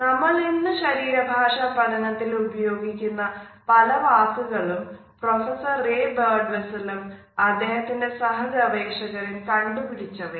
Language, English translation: Malayalam, Several terms which we still use to a study the field of body language, but invented by professor Ray Birdwhistell and his fellow researchers